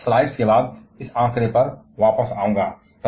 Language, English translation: Hindi, I shall be coming back to this figure after a few slides